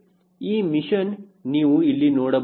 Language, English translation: Kannada, do you see this mission here